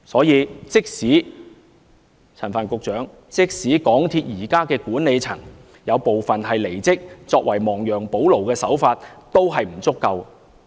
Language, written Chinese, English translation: Cantonese, 因此，陳帆局長，即使港鐵公司現時有部分管理層離職，作為亡羊補牢的手法，這也不足夠。, Secretary Frank CHAN even though some MTRCLs management personnel have quitted such a remedy is still not enough